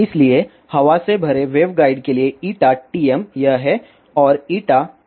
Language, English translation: Hindi, So, forair filled waveguide eta TM is this one and eta TE is this one